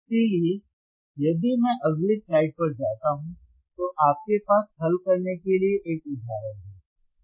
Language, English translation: Hindi, So, if I go on the next slide, then you have an example to solve